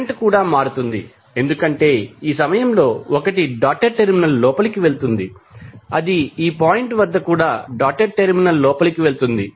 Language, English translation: Telugu, Current is also change because 1 is going inside the dotted terminal at this point also it is going inside the dotted terminal